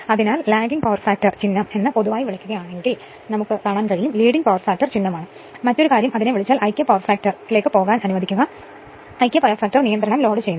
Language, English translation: Malayalam, So, if it is your what you call that in generalthat for Lagging Power Factor sign is plus for regulation; for Leading Power Factor sign is minus right and other thing if you do that your what you call that yourthat unity power factor let me go to that; that your unity unity power factorload the regulation right